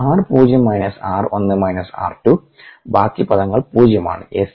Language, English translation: Malayalam, so minus r zero is, you know, the other terms are all zero